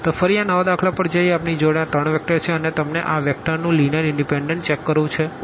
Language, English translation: Gujarati, So, here now getting back to this one the new problem we have these three vectors and you want to check the linear independence of these vectors